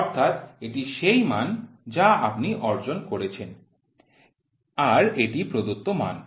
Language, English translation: Bengali, So, this is the value which you have achieved, this is the reference value